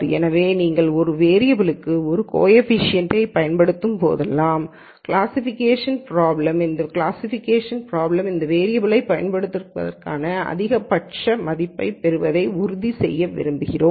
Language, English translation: Tamil, So, whenever you use a coefficient for a variable, for the classification problem, then we want ensure that you get the maximum value for using that variable in the classification problem